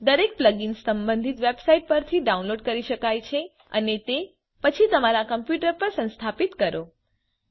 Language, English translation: Gujarati, Each plug in has to be downloaded from the relevant website and then install on your computer